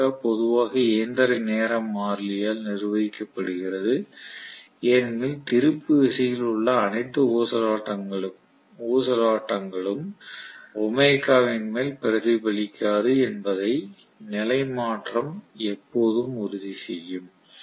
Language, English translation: Tamil, Omega is generally governed by mechanical time constant because the inertia will always make sure that all the oscillations in the torque will not be reflected up on in omega